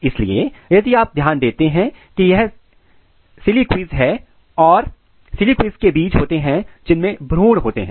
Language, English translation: Hindi, So, if you look this is the siliques and in the siliques the seeds are there containing the embryo